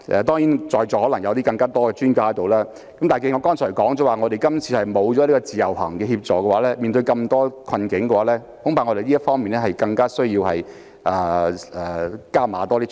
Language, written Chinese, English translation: Cantonese, 當然，在座可能有更多專家，但我剛才提到今次沒有自由行等措施協助，面對種種困境，我們恐怕要在這方面加大力度處理。, Certainly those sitting here may be more an expert than I am . Yet as mentioned by me just now those support measures such as IVS are absent this time around . Confronted by all kinds of difficulties we may have to step up our efforts in this regard